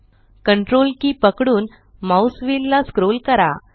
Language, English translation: Marathi, Hold CTRL and scroll the mouse wheel